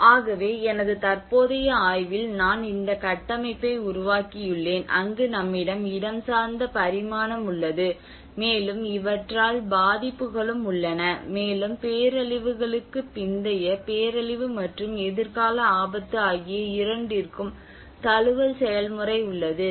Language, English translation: Tamil, So it is where in my current ongoing study I developed this framework where we have the spatial dimension and which has also the vulnerability in impacting on these, and there is also the adaptation process both pre disaster in disaster post disaster and the future risk which has a short term and medium term of single and multiple disasters